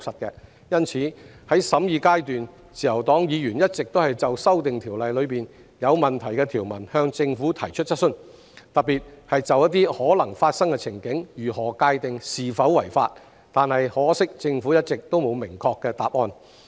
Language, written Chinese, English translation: Cantonese, 因此，在審議階段，自由黨議員一直就《條例草案》內有問題的條文——特別是如何界定一些可能發生的情景是否違法——向政府提出質詢，但可惜政府一直沒有明確的答案。, Therefore at the scrutiny stage Members from the Liberal Party kept asking the Government questions on the problematic provisions in the Bill―and in particular how to determine whether some possible scenarios are unlawful―but regrettably the Government failed to give a definite answer all along